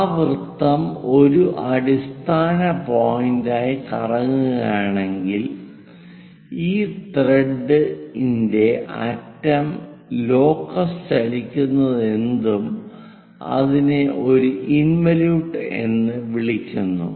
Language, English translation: Malayalam, On that the circle if it is rotating as a base point whatever the locus of this thread end point moves that is what we call an involute